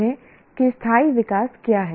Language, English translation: Hindi, Understand what sustainable growth is